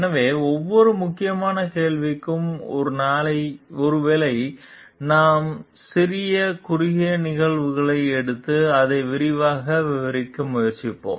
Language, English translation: Tamil, So, for each of the key questions maybe we will take up small short cases and try to like elaborate on that